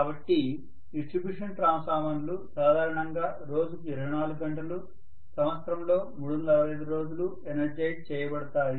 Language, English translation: Telugu, So distribution transformers normally will be energized 24 hours a day, 365 days in a year all the time they will be energized